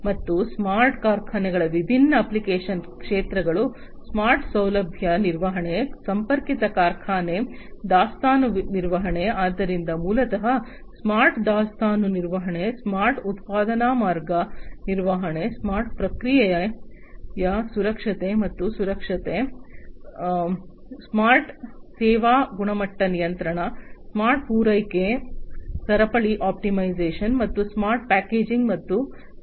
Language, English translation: Kannada, And the different application areas for the smart factories are smart facility management, connected factory, inventory management, so basically smart inventory management, smart production line management, smart process safety and security, smart service quality control, smart supply chain optimization, and smart packaging and management